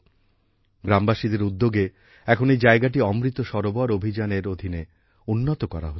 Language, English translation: Bengali, On the initiative of the villagers, this place is now being developed under the Amrit Sarovar campaign